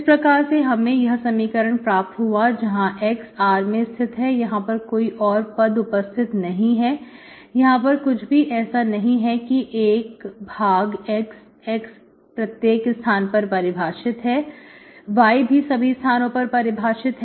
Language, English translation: Hindi, See, you have got this equation where x belongs to full R, I do not have issues, there is nothing like one by x, x is defined everywhere, y is also defined everywhere